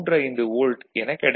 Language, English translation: Tamil, 35 volt over here, ok